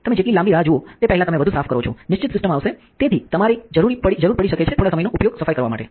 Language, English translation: Gujarati, The longer you wait before, you clean the more fixated the cist will come and therefore, you may need to use a little bit of time on the cleaning